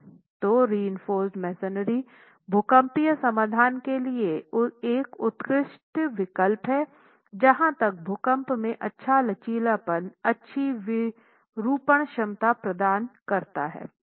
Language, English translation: Hindi, So, masonry, reinforced masonry is an excellent choice for seismic solutions as far as providing good ductility, good deformation capacity in earthquakes